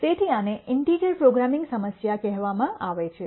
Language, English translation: Gujarati, So, this is called a integer programming problem